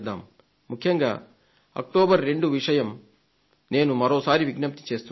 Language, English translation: Telugu, I would like to request you for 2nd October specially